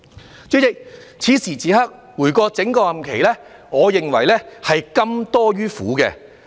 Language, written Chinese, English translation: Cantonese, 代理主席，此時此刻，回顧我整個任期，我認為是甘多於苦。, Deputy President at this juncture I look back on my entire term . I think there has been more sweetness than bitterness